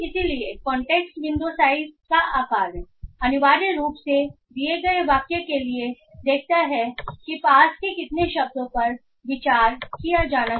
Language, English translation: Hindi, So context window size essentially looks for given a sentence how many how many nearby words have to be considered